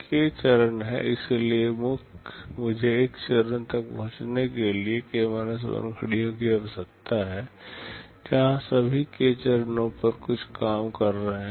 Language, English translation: Hindi, There are k stages, so I need k 1 clocks to reach a stage where all the k stages are working on something